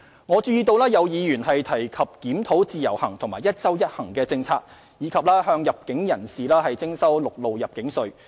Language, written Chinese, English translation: Cantonese, 我注意到有議員提及檢討自由行和"一周一行"政策，以及向入境人士徵收陸路入境稅。, I also noted the proposal put forward by a Member of reviewing the Individual Visit Scheme and the one trip per week policy as well as levying a land arrival tax on arrivals